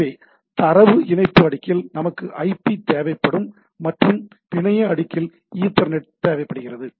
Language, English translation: Tamil, So, at the data link layer we require ethernet at the network layer we require IP